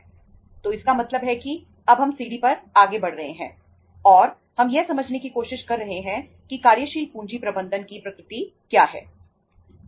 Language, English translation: Hindi, So it means now we are moving ahead on the ladder and we are trying to understand what is the nature of working capital management